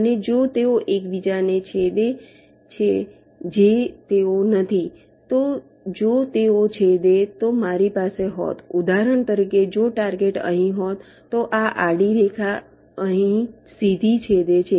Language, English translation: Gujarati, so if they would have intersected, i would have, for, for example, if the target was here, then this horizontal line would have intersected here directly